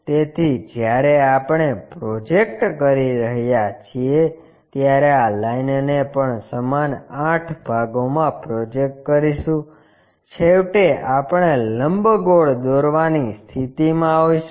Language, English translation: Gujarati, So, that when we are projecting, projecting this line also into 8 equal parts, finally, we will be in a position to construct an ellipsoid